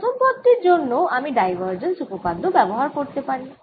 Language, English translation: Bengali, for the first term i can now use divergence theorem